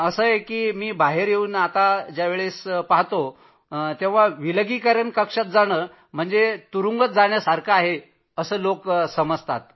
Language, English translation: Marathi, Yes, when I came out, I saw people feeling that being in quarantine is like being in a jail